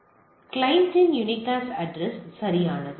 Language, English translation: Tamil, So, the clients unicast address right